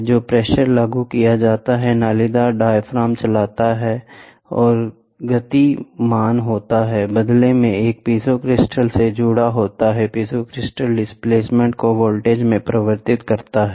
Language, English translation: Hindi, So, the pressure is applied the diaphragm corrugated diaphragm moves and this movement, in turn, is giving is attached to a piezo crystal, piezo crystal converts displacement into voltage